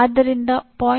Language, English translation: Kannada, Whether it is 0